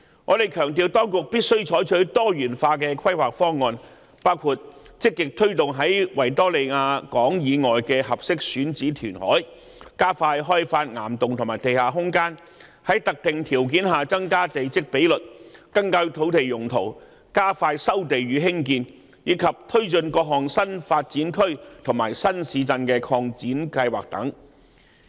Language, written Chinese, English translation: Cantonese, 我們強調當局必須採取多元化規劃方案，包括積極推動在維多利亞港以外的合適選址填海、加快開發岩洞和地下空間、在特定條件下增加地積比率、更改土地用途、加快收地與重建，以及推進各項新發展區和新市鎮擴展計劃等。, We emphasized that the authorities must adopt diversified planning proposals including proactively promoting reclamation at suitable sites outside the Victoria Harbour speeding up the development of rock caverns and underground space raising the plot ratio under specific conditions revising land uses expediting land resumption and redevelopment and taking forward various expansion plans for new development areas and new towns